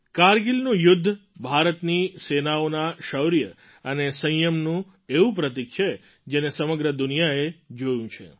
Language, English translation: Gujarati, The Kargil war is one symbol of the bravery and patience on part of India's Armed Forces which the whole world has watched